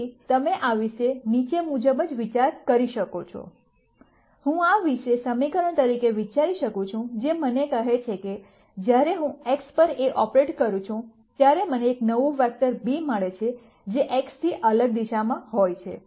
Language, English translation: Gujarati, So, you can think about this as the following I can think about this as a equation, which tells me that when I operate A on x then I get a new vector b which is in a di erent direction from x